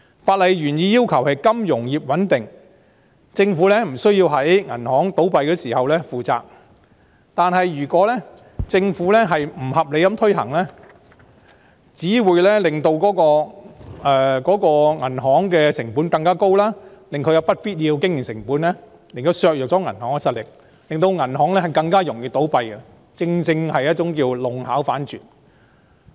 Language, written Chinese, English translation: Cantonese, 法例原意是謀求金融業穩定，政府不需要在銀行倒閉時負上責任，但如果政府不合理地推行，只會令銀行成本更高，增加不必要的經營成本，削弱了銀行實力，令銀行更容易倒閉，弄巧反拙。, The original intent of the legislation was to bring stability to the financial sector so that the Government does not need to assume responsibility in the event of bank failures . However without judicious implementation on the part of the Government it will only backfire on the banks with increase and unnecessary addition of operating costs thus weakening their strength and making them more prone to failure